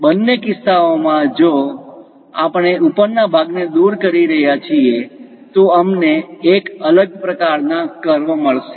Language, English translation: Gujarati, In both the cases if we are removing the top part, we will get different kind of curves